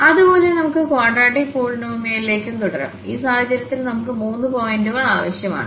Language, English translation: Malayalam, Similarly, we can continue for the quadratic polynomial as well and in this case, we need three points